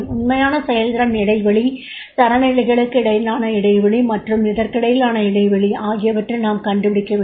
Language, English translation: Tamil, We have to find out the actual performance gap, gap between the standards and gap between this